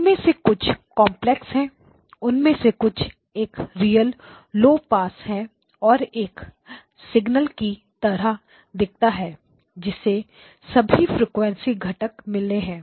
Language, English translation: Hindi, Just some of them are complex some of them a real low pass one this one looks like a signal that has got all frequency components